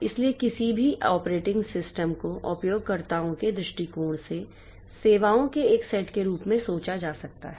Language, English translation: Hindi, So, any operating system can be thought of as a set of services as from the, from the user's viewpoint